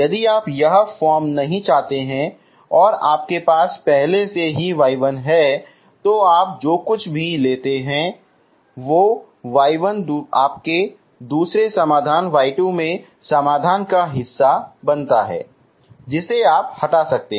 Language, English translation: Hindi, If you do not want this form and you already have y 1 you take whatever, if y 1 is part of solution into your second solution y 2 you can remove it, you can split it and remove it